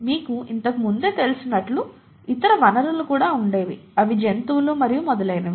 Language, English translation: Telugu, The other sources such as you know earlier there used to be other sources such as animals and so on